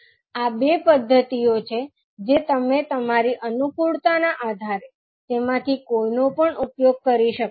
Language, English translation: Gujarati, So, now these are the two methods you can use either of them based on your convenience